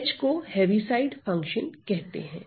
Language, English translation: Hindi, The H is called the Heaviside function right